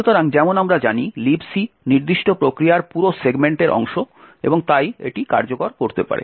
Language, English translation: Bengali, So, as we know LibC is part of the whole segment of the particular process and therefore it can execute